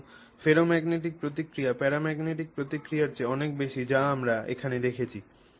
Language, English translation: Bengali, So, ferromagnetic response is much greater than paramagnetic response which is what we saw here